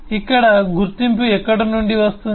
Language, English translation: Telugu, where is the identity coming from